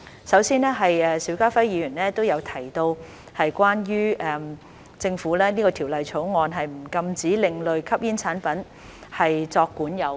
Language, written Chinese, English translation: Cantonese, 首先是邵家輝議員有提及，政府這項條例草案不禁止另類吸煙產品作管有。, First of all as mentioned by Mr SHIU Ka - fai this Bill proposed by the Government does not prohibit the possession of alternative smoking products ASPs